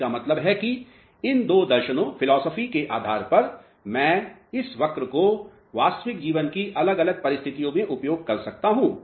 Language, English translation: Hindi, That means, depending upon these two philosophies I can utilize this curve for different real life situations